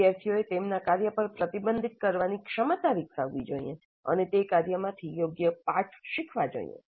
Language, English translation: Gujarati, Students must develop the capacity to reflect on their work and draw appropriate lessons from that work